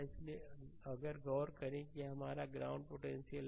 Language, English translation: Hindi, So, if you look into that that this is your ah ground potential